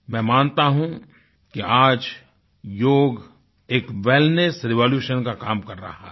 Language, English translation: Hindi, I believe that the concept of wellness today is bringing about a revolution